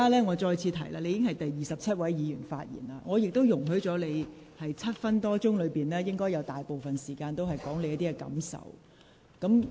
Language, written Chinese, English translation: Cantonese, 我再次提醒你，你已是第二十七位議員發言，我亦已容許你在超過7分鐘的發言中，用了不少時間表達你的感受。, I would like to remind you again that you are the 27 Member speaking in this debate . I have already allowed you to spend quite a lot of time expressing your feelings in your speech lasting more than seven minutes